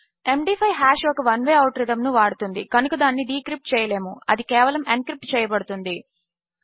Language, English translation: Telugu, The MD5 hash uses a one way out rhythm so it cannot be decrypted it can only be encrypted